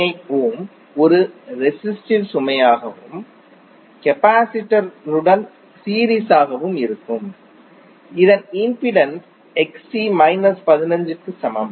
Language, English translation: Tamil, 98 ohm as a resistive load and in series with capacitor whose impedance is Xc that is equal to minus 15